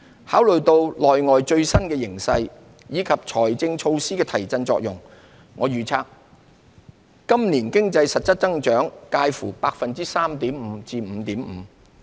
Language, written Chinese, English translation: Cantonese, 考慮到內外最新形勢，以及財政措施的提振作用，我預測今年經濟實質增長介乎 3.5% 至 5.5%。, Having regard to the latest internal and external situations as well as the stimulus effect of the fiscal measures I forecast that our economy will grow by 3.5 % to 5.5 % in real terms this year